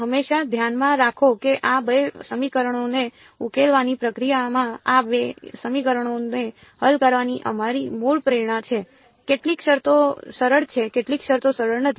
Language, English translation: Gujarati, Always keep in mind that our basic motivation is to solve these two equations in the process of solving these two equations some terms are easy some terms are not easy